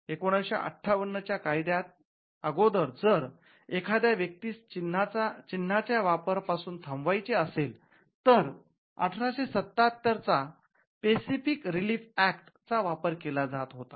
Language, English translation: Marathi, Now before the 1958 act, if there was a need to stop a person who was using a mark, you would use the Specific Relief Act 1877 and get a permanent injunction